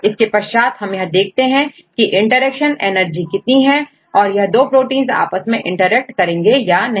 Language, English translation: Hindi, We can calculate the interaction energy right and from that you can define whether these protein two proteins interact or not